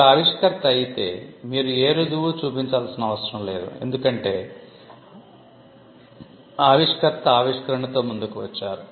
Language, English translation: Telugu, If you are inventor, there is no need for a proof of right, because, the inventor itself came up with the invention